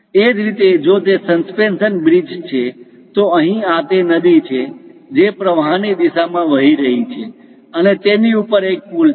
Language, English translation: Gujarati, Similarly, if it is suspension bridge; so here this is the river which is coming in the stream wise direction and above which there is a bridge